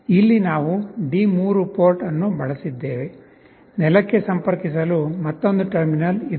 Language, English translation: Kannada, Here we have used the D3 port, there is another terminal to connect to ground